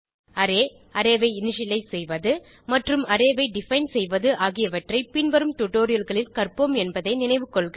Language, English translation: Tamil, Please note: Well cover array, array initialization and defining an array in subsequent tutorials